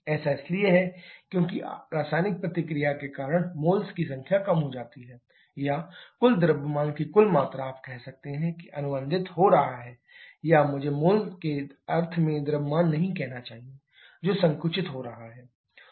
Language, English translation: Hindi, That is because of the chemical reaction number of moles are reducing or total volume of total mass you can say is getting contracted or I should not say mass in mole sense that is getting contracted